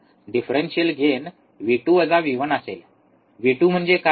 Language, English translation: Marathi, Differential gain will be V 2 minus V 1, what is V 2